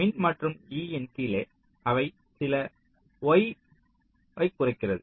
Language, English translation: Tamil, top of e and bottom of e, they refer to some y coordinates